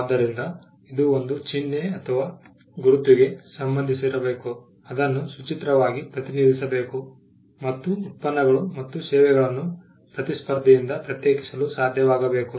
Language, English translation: Kannada, So, the fact that it should pertain to a sign or a mark, it should be represented graphically, and it should be able to distinguish the products and services from that of a competitor